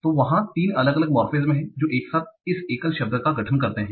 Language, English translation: Hindi, So there are three different morphemes that together constitute this single word